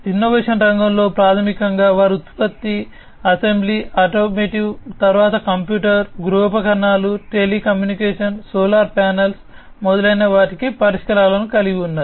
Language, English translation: Telugu, So, in the innovation sector basically, they have solutions for product assembly, automotive, then computer, home appliance, telecommunication, solar panels and so on